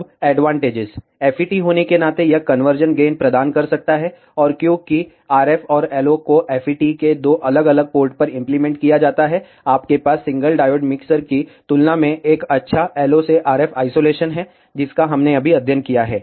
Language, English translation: Hindi, Being a FET, it can provide a conversion gain, and because RF and LO are applied at two different ports of the FET, you have a good LO to RF isolation compared to the single diode mixers, which we just studied